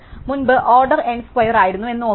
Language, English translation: Malayalam, Remember that previously it was order N square